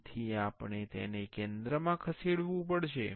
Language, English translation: Gujarati, So, we have to move it to the center